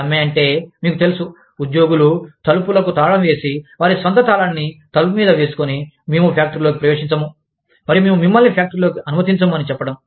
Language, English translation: Telugu, A strike means, that things, you know, the employees may just lock the door, and put their own lock on the door, and say, we will not enter the factory, and we will not let you, enter the factory